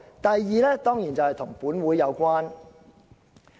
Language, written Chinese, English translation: Cantonese, 第二，當然與本會有關。, The second reason certainly relates to the Legislative Council